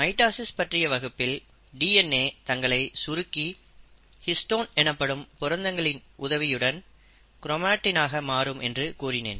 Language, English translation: Tamil, As I had mentioned during my mitosis video, the DNA normally condenses itself into chromatin with the help of proteins which we call as histones